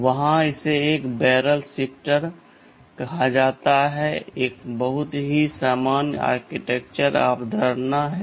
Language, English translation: Hindi, And there is something called a barrel shifter which that is a very common architectural concept